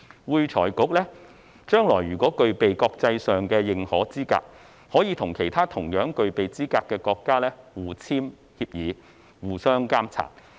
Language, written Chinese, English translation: Cantonese, 會財局將來如果具備國際認可資格，可以與其他同樣具備資格的國家互簽協議，互相監察。, In the future if AFRC has internationally recognized qualifications it may enter into mutual agreements with other jurisdictions with similar qualifications and monitor each other